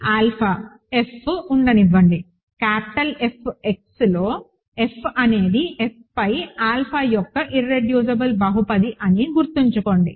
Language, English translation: Telugu, So, let alpha, let F be; let F in capital F x be the irreducible polynomial of alpha over F